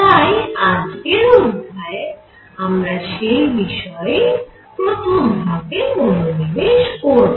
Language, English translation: Bengali, So, what we are going to focus today in this lecture on is the first part